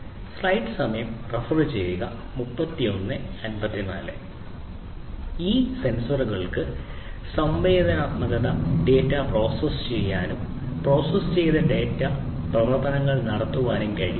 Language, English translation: Malayalam, So, these intelligent sensors are capable of processing sensed data and performing predefined functions by processing the data